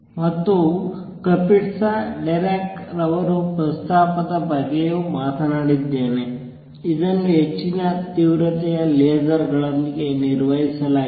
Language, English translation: Kannada, And I have also talked about Kapitsa Dirac proposal which has been performed with high intensity lasers